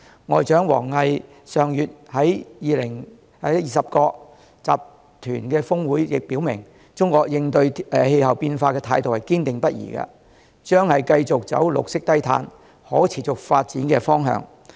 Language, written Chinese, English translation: Cantonese, 外長王毅上月在二十國集團高峰會亦表明，中國應對氣候變化的態度堅定不移，將繼續走綠色低碳、可持續發展的方向。, Foreign Minister WANG Yi said at the G20 Summit last month that China tackled climate change steadfastly and it would continue to move in the direction of green low - carbon and sustainable development